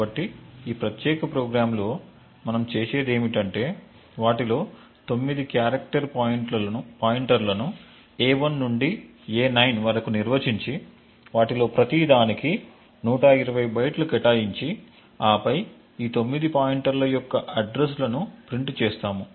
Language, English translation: Telugu, So, what we do in this particular program is that we define character pointers 9 of them a 1 to a 9 and allocate 120 bytes for each of them and then simply just print the addresses for each of these 9 pointers